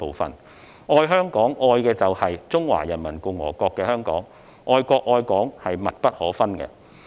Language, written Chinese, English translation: Cantonese, 因此，"愛香港"，愛的就是中華人民共和國的香港，愛國愛港是密不可分的。, Hence their love for Hong Kong means they love the Hong Kong that is a part of the Peoples Republic of China . The love for Hong Kong is inseparable from the love for the country